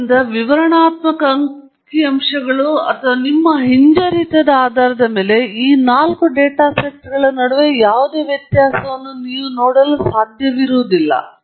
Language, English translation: Kannada, So, based on the descriptive statistics or even your regression, you would not be able to make any distinction between these four data sets